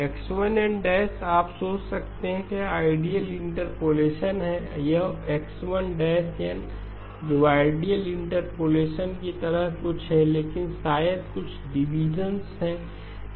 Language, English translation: Hindi, xi of N you can think of it is ideal interpolative, this is xi prime which is something which is like the ideal interpolative but maybe has some deviations okay